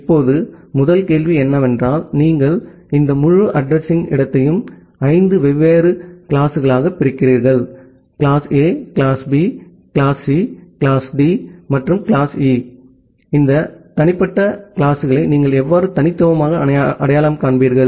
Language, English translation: Tamil, Now, the first question comes that whenever you are dividing this entire address space into five different classes: class A, class B, class C, class D, and class E, then how will you uniquely identify this individual classes